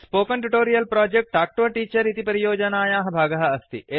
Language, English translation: Sanskrit, The Spoken Tutorial Project is a part of the Talk to a Teacher project